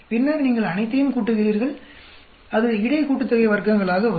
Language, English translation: Tamil, Then you add up all of them, that will come to between sum of squares